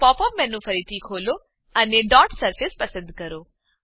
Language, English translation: Gujarati, So, open the Pop up menu again, and choose Dot Surface